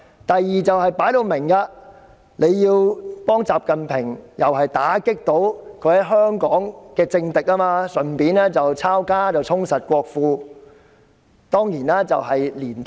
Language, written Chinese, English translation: Cantonese, 第二個理由，就是幫助習近平打擊在香港的政敵，順便抄家，充實國庫。, The second reason is to assist XI Jinping in cracking down on his political enemies in Hong Kong and also take this opportunity to confiscate their properties to fill the national coffers